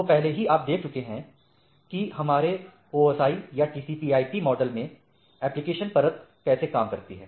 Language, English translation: Hindi, So, already you have seen that how a application layer in our OSI or TCP/IP model works